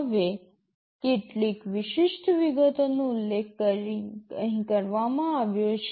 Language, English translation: Gujarati, Now, some specific details are mentioned here